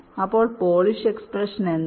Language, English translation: Malayalam, now what is ah polish expression